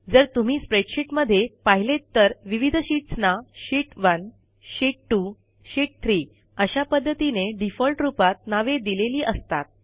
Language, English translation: Marathi, If you see in a spreadsheet, the different sheets are named by default as Sheet 1, Sheet 2, Sheet 3 and likewise